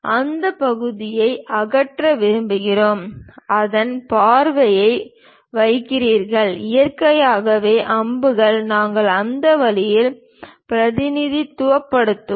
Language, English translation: Tamil, And we want to remove this portion, keep the view of that; then naturally arrows, we will represent at in that way